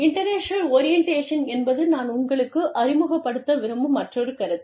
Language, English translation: Tamil, International orientation, is another concept, that i want to, introduce you to